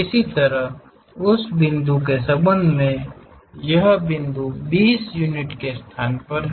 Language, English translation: Hindi, Similarly, with respect to that point this point is at 20 units location